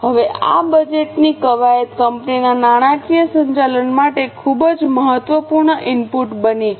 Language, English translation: Gujarati, Now this budgeting exercise becomes a very important input for financial management of the company